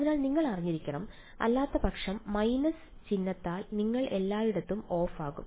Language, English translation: Malayalam, So, you should just be aware because otherwise you will be off everywhere by minus sign